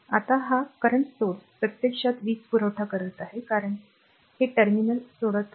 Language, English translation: Marathi, So, now, this current source so, it is actually supplying power because it is leaving this terminal